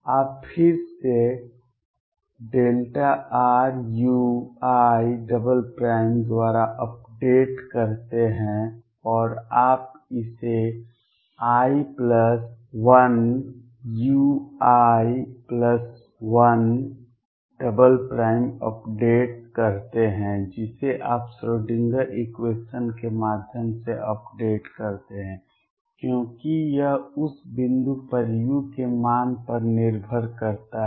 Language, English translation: Hindi, You again update by delta r u I double prime and you now update this is i plus 1 u i plus 1 double prime you update through the Schrödinger equation, because this depends on the value of u at that point